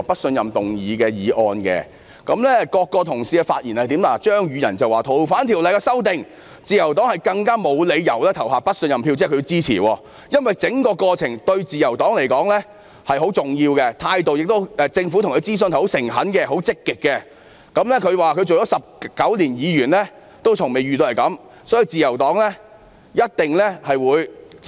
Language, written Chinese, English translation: Cantonese, 張宇人議員表示，因為修訂《逃犯條例》一事，自由黨更沒有理由投下不信任票——這即是他們支持修訂《逃犯條例》——因為整個過程對自由黨來說是很重要的，政府諮詢自由黨的態度十分誠懇和積極，他說擔任議員19年以來從未遇過這種情況，所以自由黨一定會繼續支持。, Mr Tommy CHEUNG indicated that the Liberal Party had no reason to cast a vote of no confidence because of the amendment exercise of FOO―which means that they supported amending FOO―since the whole process was very important to the Liberal Party as the Government had adopted a very sincere and proactive attitude when consulting the Liberal Party . He said that he had never encountered such a situation even though he had served as a Member for 19 years so the Liberal Party would definitely continue to support the exercise